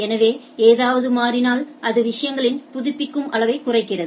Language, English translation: Tamil, So, if something changes it reduces the amount of updating in the things right